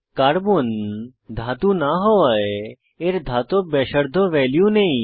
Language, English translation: Bengali, Since Carbon is a non metal it does not have Metallic radius value